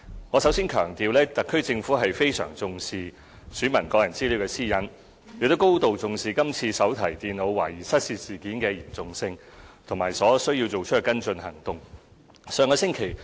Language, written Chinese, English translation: Cantonese, 我首先要強調，特區政府非常重視選民的個人私隱，亦深明今次手提電腦懷疑失竊事件的嚴重性和知悉所需要作出的跟進行動。, First of all I would like to emphasize that the Special Administrative Region SAR Government attaches great importance to individual privacy of the electors . We are also fully aware of the severity of the suspected theft of notebook computers this time and understand the necessary follow - up actions that should be taken